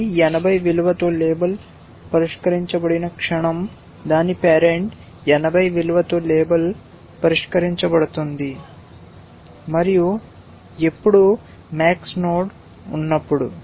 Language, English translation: Telugu, The moment this gets label solved with a value of 80 its parent gets label solved with a value of 80, and when the, when a max node